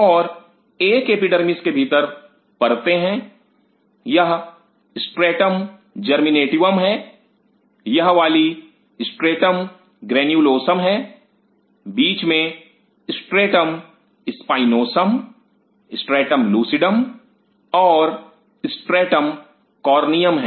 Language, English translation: Hindi, And within an epidermis the layers are this is stratum Germinativum stratum this one is Stratum Granulosum in between is Stratum Spinosum, Stratum Lucidum, and Stratum Corneum